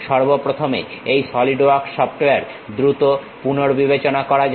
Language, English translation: Bengali, First of all let us quickly revisit this Solidworks software